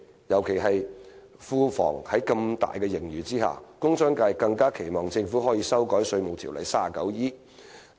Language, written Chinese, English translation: Cantonese, 尤其是在庫房有龐大盈餘的情況下，工商界更期望政府能修改《稅務條例》第 39E 條。, Seeing an enormous surplus in the public coffers the industrial and commercial sectors particularly hoped that the Government would amend section 39E of the Inland Revenue Ordinance